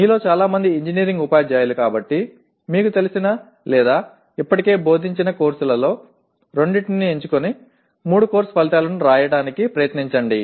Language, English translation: Telugu, As majority of you are engineering teachers, you pick the a course or two you are familiar with or taught already and try to write three course outcomes as such